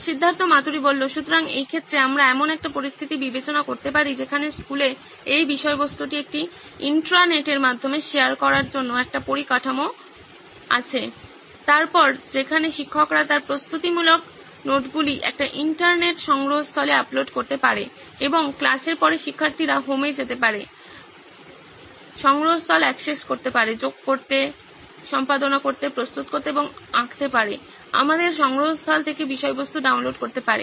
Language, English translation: Bengali, So, in this case we can consider a situation where school has an infrastructure for sharing this content through an Intranet, then where teach can upload her preparatory notes into that, into an Internet repository and students after class can go home access that repository, add, edit, prepare or draw our content, download content from that repository